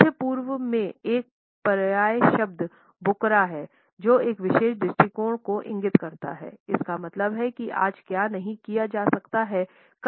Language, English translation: Hindi, In the Middle East a synonymous world is Bukra which indicates a particular attitude, it means that what cannot be done today would be done tomorrow